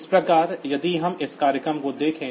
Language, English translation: Hindi, So, if we just look into this program